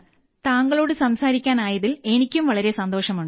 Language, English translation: Malayalam, I was also very happy to talk to you